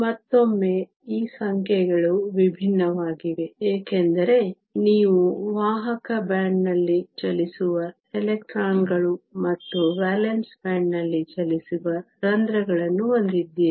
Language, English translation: Kannada, Once again these numbers are different, because you have electrons that are moving in the conduction band and holes that are moving in the valance band